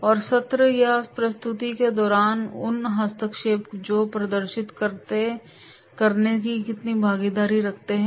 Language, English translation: Hindi, And those interventions during session or presentation that will demonstrate how much involvement is there